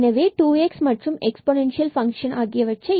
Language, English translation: Tamil, So, 2 x and this exponential function 4 minus 4 x square minus y square